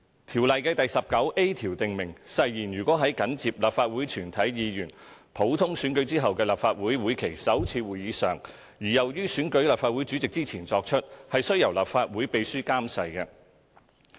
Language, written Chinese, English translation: Cantonese, 《條例》第 19a 條訂明，誓言如在緊接立法會全體議員普通選舉後的立法會會期首次會議上而又於選舉立法會主席之前作出，須由立法會秘書監誓。, Section 19a of the Ordinance stipulates that if the Legislative Council Oath is taken at the first sitting of the session of the Legislative Council immediately after a general election of all Members of the Council and before the election of the President of the Council it shall be administered by the Clerk to the Council